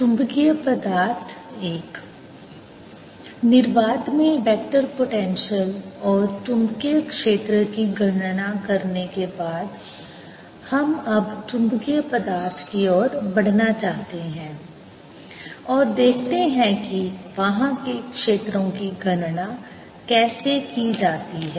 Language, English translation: Hindi, having calculated ah vector potential and magnetic field in free space, we now want to move on to magnetic materials and see how to calculate fields there